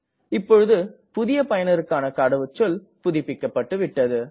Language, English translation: Tamil, Now our password for the new user is updated